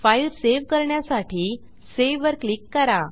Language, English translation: Marathi, Click on Save to save this file